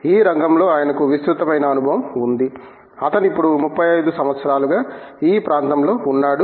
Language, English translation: Telugu, He has extensive experience in this field; he has been in this area for over 35 years now